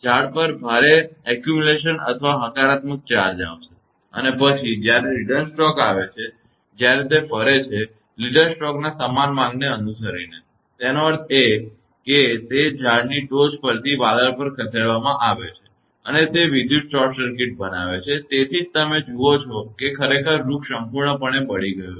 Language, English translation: Gujarati, That there will be heavy accumulation or a positive charge on the trees and then, when there is a return stroke, when it moves; following the same path of the leader stroke; that means, from the top of that tree is moved to the cloud and it makes an electrical short circuit; that is why you see that tree is completely burned actually